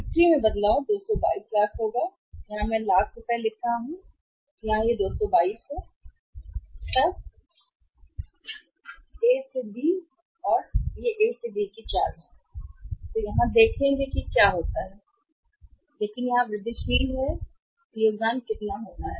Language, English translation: Hindi, Change in the sales will be 222 lakhs I am writing here rupees lakhs, this is 222 then is A to B move from A to B will see here what happens but here incremental contribution is going to be how much